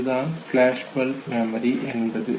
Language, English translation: Tamil, And that is called as flashbulb memory